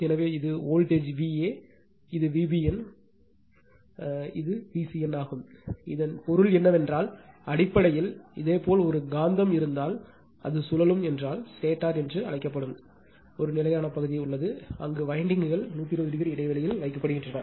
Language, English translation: Tamil, So, this is voltage V a n, this is V b n, and this is your V c n right so that means, basically what a your you have you have a magnet if it is rotating it is rotating, and is surrounded by a static part that is called stator, where windings are placed 120 degree apart right, 120 degree apart as the magnet is rotating right